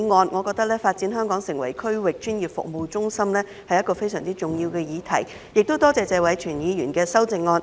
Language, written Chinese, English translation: Cantonese, 我認為發展香港成為區域專業服務中心是一項相當重要的議題，亦感謝謝偉銓議員提出修正案。, In my view the development of Hong Kong into a regional professional services hub is a very important subject . My thanks also go to Mr Tony TSE for proposing the amendment